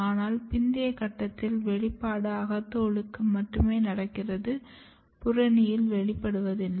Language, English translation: Tamil, But at the later stage the expression is only restricted to the endodermis, and there is no expression in the cortex